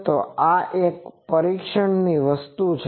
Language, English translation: Gujarati, So, this is also one testing thing